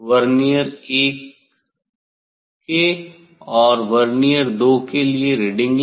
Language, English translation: Hindi, for Vernier 2 I have to take reading